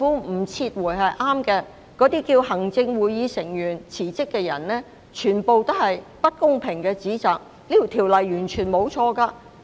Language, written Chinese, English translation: Cantonese, 那些叫行政會議成員辭職的人，所作的全部是不公平的指責，這項修訂條例完全沒有錯誤。, Those who call on Members of the Executive Council to quit have been making criticisms that are totally unfair . There is absolutely nothing wrong with the legislative amendment